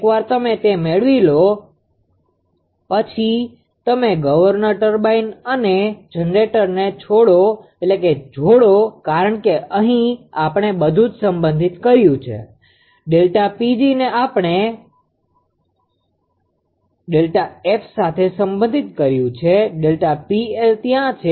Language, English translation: Gujarati, Once you get it; then you combine governor turbine and generator because here we have also related everything delta P g we have related to delta f of course, delta P L is there right